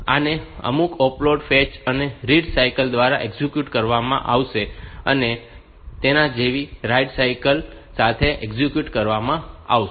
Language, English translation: Gujarati, So, this will be executed by some opcode fetch and read cycle and write cycle like that